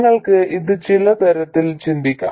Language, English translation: Malayalam, You can think of this in many different ways